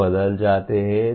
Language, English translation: Hindi, All of them change